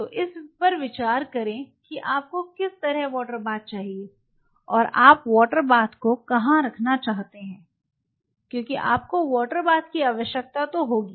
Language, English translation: Hindi, So, think over its what kind of water bath you are going and where you want to place the water bath because you will be needing water bath